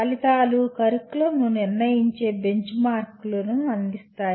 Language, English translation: Telugu, Outcomes provide benchmarks against which the curriculum can be judged